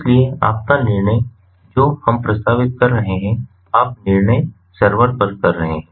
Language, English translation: Hindi, so your decision making, what we are proposing, you do the decision making at the server end